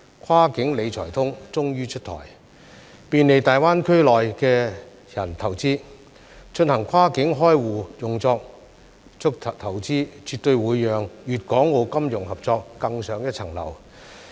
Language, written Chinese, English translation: Cantonese, "跨境理財通"終於出台，便利大灣區內的人投資，進行跨境開戶用作投資，絕對會讓粤港澳金融合作更上一層樓。, The Cross - boundary Wealth Management Connect has finally been rolled out to facilitate cross - boundry account opening for investment in the Greater Bay Area . This will definitely take the financial cooperation among Guangdong Hong Kong and Macao to new heights